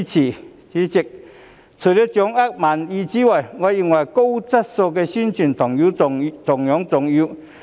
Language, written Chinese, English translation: Cantonese, 代理主席，除了掌握民意之外，我認為高質素的宣傳同樣重要。, Deputy President apart from feeling the pulse of the public I think carrying out high - quality publicity work is just as important